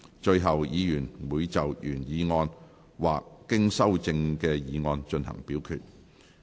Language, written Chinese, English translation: Cantonese, 最後，議員會就原議案或經修正的議案進行表決。, Finally Members will vote on the original motion or the motion as amended